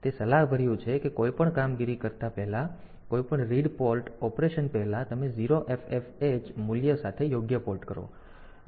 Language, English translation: Gujarati, So, it is advisable that before any in operation; before any read port operation, you do a right port with the value 0FFH